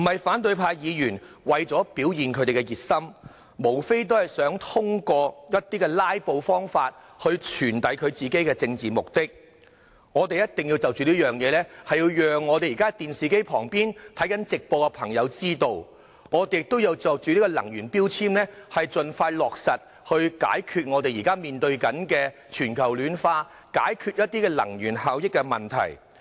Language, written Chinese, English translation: Cantonese, 反對派議員並非為了表現他們的熱心，而是想透過"拉布"來達到其政治目的，我們一定要讓在電視機旁看直播的市民認識這一點，也要盡快落實能源標籤，解決現正面對的全球暖化及能源效益問題。, Members of the opposition camp did not aim at showing their enthusiasm on the issue but rather at achieving their political goals through filibustering . We must make people watching the live broadcast on television realize this . We must also implement energy efficiency labelling expeditiously in order to solve global warming and energy efficiency issues that we are facing right now